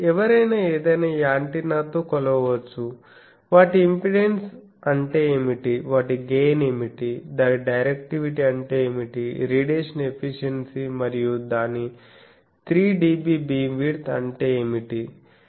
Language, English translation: Telugu, So, anyone can measure with any given antenna, what are it is impedance what are it is gain what is it is directivity what is it is radiation efficiency and what is it is pattern what is the 3dB beam width